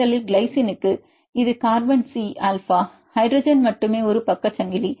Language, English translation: Tamil, First one this is the carbon c alpha for glycine only hydrogen is a side chain